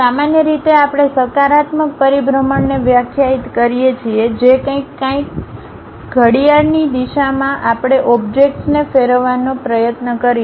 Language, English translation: Gujarati, Usually we define positive rotation, something like in counterclockwise direction we will try to rotate the objects